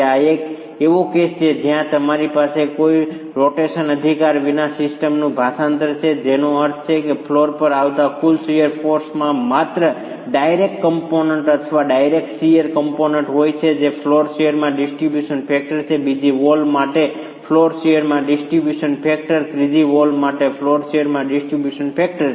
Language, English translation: Gujarati, This is a case where you have translation of the system with no rotation, which means the total shear force coming to the floor has only a direct component, a direct shear component which is distribution factor into the floor shear, distribution factor into the floor share for the second wall and distribution factor into the flow shear for the third wall